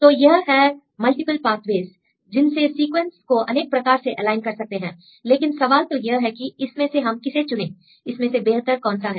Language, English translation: Hindi, So, now there are multiple ways multiple pathways to align the sequences these are the various ways now the question is which one you need to choose which one is the best one